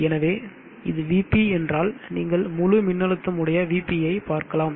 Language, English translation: Tamil, So if I say this is VP then you would see VP the full voltage